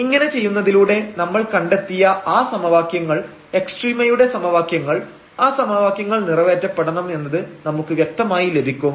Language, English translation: Malayalam, So, by doing this we will precisely get those equations which we have derived that at the point of extrema these equations must be satisfied